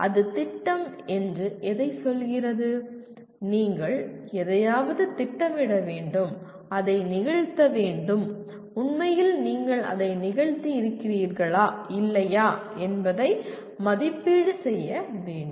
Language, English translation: Tamil, What it says “plan”, you have to plan for something and actually have to perform and measure whether you have performed or not